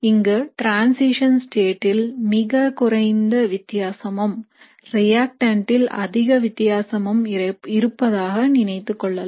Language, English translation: Tamil, So this is assuming that very less difference in transition state and a big difference in your reactant